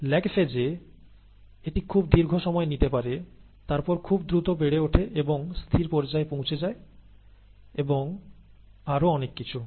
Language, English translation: Bengali, Or, it may take a very long time in lag phase, and then grow very quickly and then reach stationary phase, and so on and so forth, okay